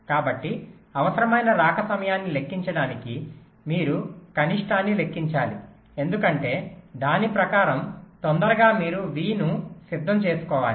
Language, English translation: Telugu, so for calculating required arrival time you have to calculate minimum, because whichever is earliest you have to get v ready by that